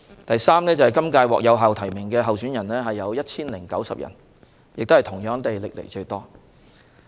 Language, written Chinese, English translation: Cantonese, 第三，今屆獲有效提名的候選人達 1,090 人，同樣是歷來最多。, Third there are 1 090 validly nominated candidates this year a record high as well